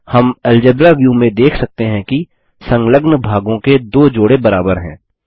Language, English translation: Hindi, We can see from the Algebra View that 2 pairs of adjacent sides are equal